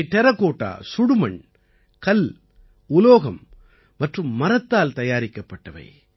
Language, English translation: Tamil, These have been made using Terracotta, Stone, Metal and Wood